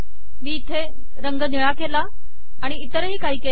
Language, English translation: Marathi, I have changed the color here to blue and so on